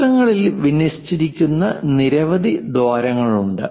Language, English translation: Malayalam, There are many holes they are aligned in circles